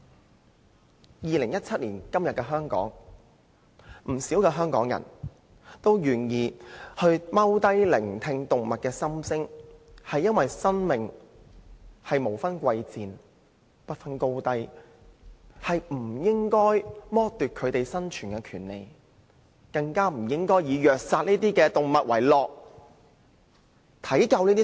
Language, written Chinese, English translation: Cantonese, 在2017年的香港，不少香港人也願意蹲下來聆聽動物的心聲，是因為生命無分貴賤、不分高低，不應該剝奪動物生存的權利，更不應該以虐殺動物為樂。, In Hong Kong nowadays many local people are willing to squat down to listen to the thoughts of animals because all lives are precious and there should be no distinction between human and animal lives . It is improper to deprive animals of their right to live not to mention taking pleasure in abusing and killing them